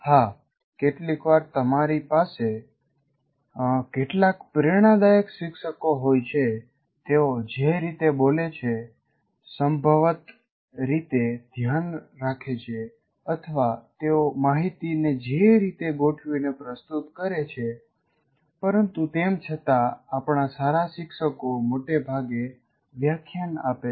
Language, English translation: Gujarati, Yes, occasionally you will have some inspiring teachers the way they speak, possibly the way they care or the way they organize information, but still even our good teachers are mostly lecturing